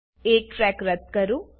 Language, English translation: Gujarati, Delete one track